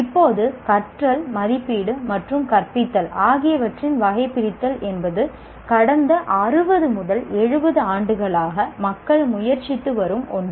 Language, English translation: Tamil, Now, taxonomy of learning, assessment and teaching is people have been attempting for the past 60, 70 years